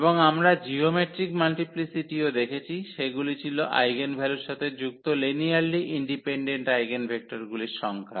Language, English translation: Bengali, And we have also seen the geometric multiplicity that was the number of linearly independent eigenvectors associated with that eigenvalue